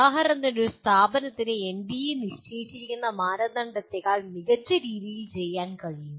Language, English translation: Malayalam, For example, an institution can do far better than as per the norms that are set by NBA